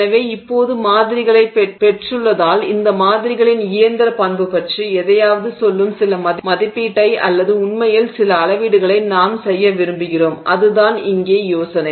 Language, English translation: Tamil, So now having gotten these samples, we want to make some estimate or actually some measurement which tells us something about the mechanical property of these samples and that is the idea here